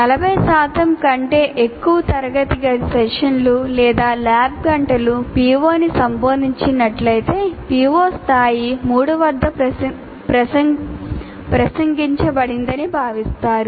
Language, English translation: Telugu, For example, if more than 40% of classroom sessions or lab hours addressing a particular PO, it is considered that PO is addressed at level 3